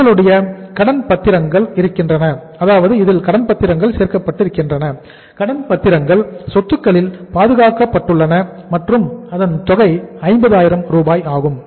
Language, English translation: Tamil, Then you have got the debentures, 5% debentures secured on assets and the amount is 50,000